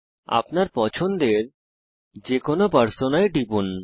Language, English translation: Bengali, Click on any Persona of your choice